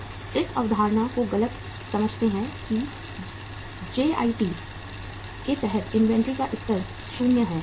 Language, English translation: Hindi, People misunderstand this concept that under JIT the level of inventory is 0